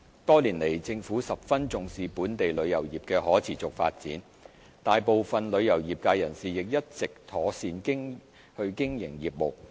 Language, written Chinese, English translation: Cantonese, 多年來，政府十分重視本港旅遊業的可持續發展，大部分旅遊業界人士亦一直妥善經營業務。, Over the years the Government has attached great importance to the sustainable development of Hong Kongs travel industry and a majority of travel trade members have been carrying on their business properly